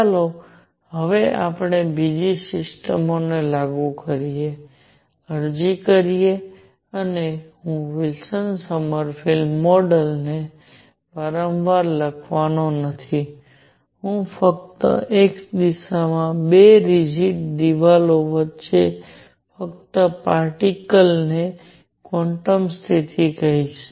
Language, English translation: Gujarati, Let us now apply to another systems, apply and I am not going to write Wilson Sommerfeld again and again, I will just say quantum condition to a particle moving between two rigid walls in x direction